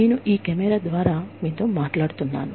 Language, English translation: Telugu, And, I am talking to you, through this camera